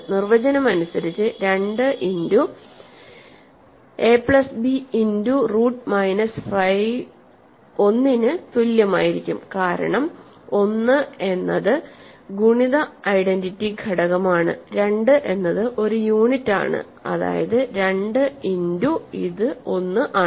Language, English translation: Malayalam, 2 times a plus b times root minus 5 will be equal to 1 by definition, because 1 is the multiplicative identity element, 2 is a unit means 2 times this is 1